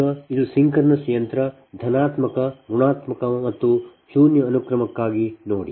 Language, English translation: Kannada, so now see, this is for the synchronous machine, the positive, negative and zero sequence